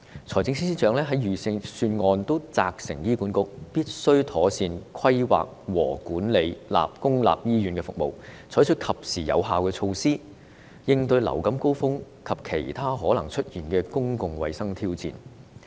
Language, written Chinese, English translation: Cantonese, 財政司司長在預算案責成醫管局必須妥善規劃和管理公立醫院服務，採取及時有效的措施，應對流感高峰及其他可能出現的公共衞生挑戰。, In the Budget the Financial Secretary has instructed HA to properly plan and manage public hospital services and take timely and effective measures to cope with influenza surge and other possible public health challenges